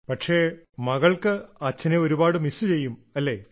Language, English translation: Malayalam, But the daughter does miss her father so much, doesn't she